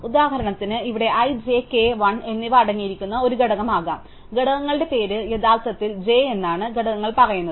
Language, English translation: Malayalam, So, here for example, could be a component containing i, j, k and l and the structures says that the name of the component is actually j